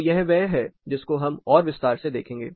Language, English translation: Hindi, So, this is something we will look at further in detail